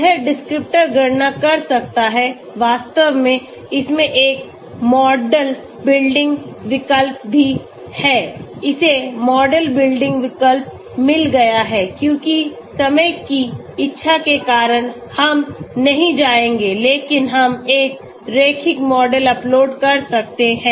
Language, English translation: Hindi, It can do descriptor calculations, in fact it also has a model building option, it has got the model building option because of want of time, we will not go but we can upload a linear model